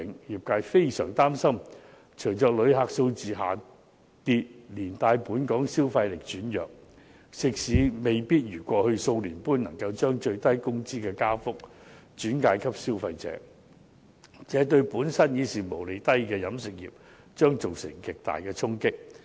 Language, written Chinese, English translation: Cantonese, 業界非常擔心，隨着旅客數字下跌，連帶本港消費力轉弱，食肆未必如過去數年般能夠將最低工資的加幅轉嫁消費者，這對本身毛利已低的飲食業將造成極大衝擊。, The industry is gravely concerned that with the drop in tourist arrivals coupled with the weakening spending power in Hong Kong eateries might not be able to as in the past couple of years pass on the minimum wage increases to consumers . This will have a very strong impact on the catering industry which is already making a low gross profit